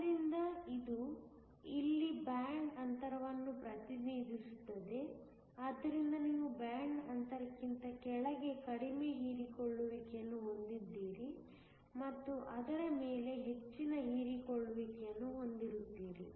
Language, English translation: Kannada, So, this here represents the band gap so that, you have very low absorption below the band gap and very high absorption above it